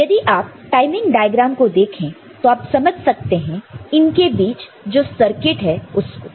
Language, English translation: Hindi, So, if you look at have a look at some such timing diagram, you can understand the circuit involved in between